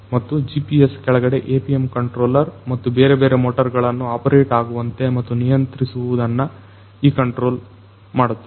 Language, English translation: Kannada, And, below this GPS is this APM controller and it is this controller which basically makes or controls these different motors to operate